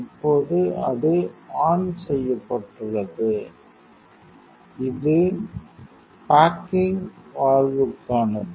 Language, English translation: Tamil, Now it is on and this is for the baking valve